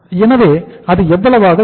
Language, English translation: Tamil, So it will work out as how much